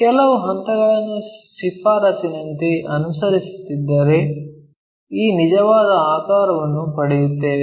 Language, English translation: Kannada, So, if we are following few steps as a recommendation, then we will get this true shape